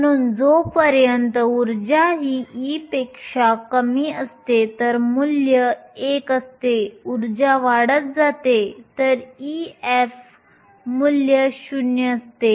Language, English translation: Marathi, So, as long as the energy e is less than e f the value is 1 the energy goes above e f the value is 0